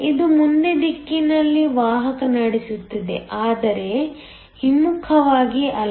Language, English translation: Kannada, It will conduct in the forward direction, but not in the reverse